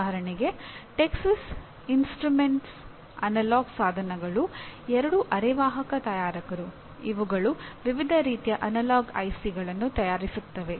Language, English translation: Kannada, Example Texas Instruments, Analog Devices are two semiconductor manufacturers making a wide variety of analog ICs